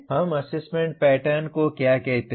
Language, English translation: Hindi, What do we call assessment pattern